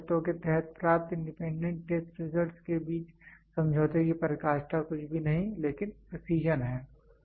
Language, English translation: Hindi, The closeness of agreement between independent test results obtained under stipulated conditions is nothing, but precision